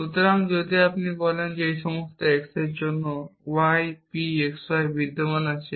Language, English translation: Bengali, So, for example, for every number x there exist a number y which is bigger than x